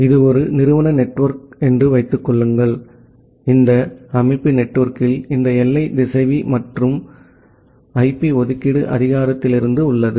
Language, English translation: Tamil, Assume that is an organization network, this organization network it has this border router from the central IP allocation authority